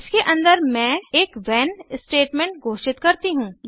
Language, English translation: Hindi, Within that I declare a when statement